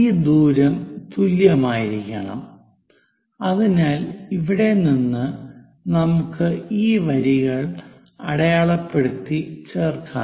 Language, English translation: Malayalam, This distance supposed to be same as, so from here, let us mark and join these lines